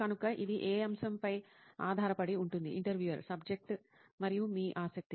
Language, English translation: Telugu, So it depends on the subject which… Subject and your interest